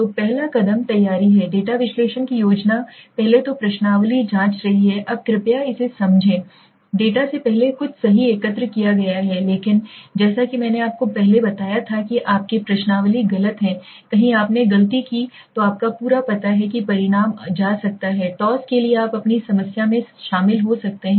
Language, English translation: Hindi, so the first step being the preparing the plan of the data analysis so first is questionnaire checking now please understand this is something before the data has been collected right so but as I told you earlier if your questionnaire is wrong somewhere you made a mistake then your entire you know result can go for toss you can get in to your problem